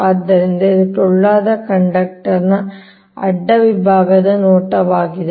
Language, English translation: Kannada, so this is the cross section view of hollow conductor